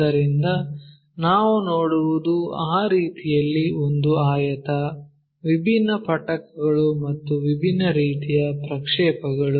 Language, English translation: Kannada, So, what we will see is a rectangle in that way; different prisms different kind of projections